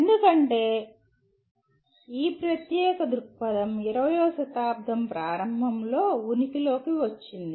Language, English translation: Telugu, That is because this particular viewpoint came into being during early part of the 20th century